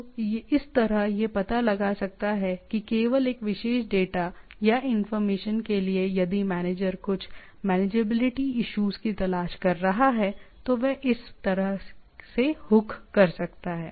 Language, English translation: Hindi, So in that way, it can find out that only for a particular data or information if it is manager is seeking for some manageability issues it can it can hook into like this